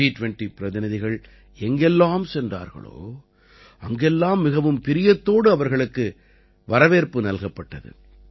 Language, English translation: Tamil, Wherever the G20 Delegates went, people warmly welcomed them